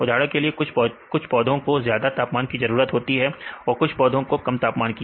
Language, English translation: Hindi, For example, some plants require high temperature; some plants require very low temperature